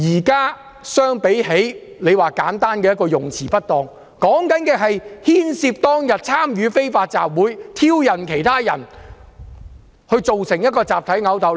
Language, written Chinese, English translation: Cantonese, 現時與簡單用詞不當的情況不同，是牽涉參與非法集會，挑釁其他人，造成集體毆鬥。, Unlike the case of simply using inappropriate wording the current situation involves participation in an unlawful assembly and provocation of other people which resulted in a mass brawl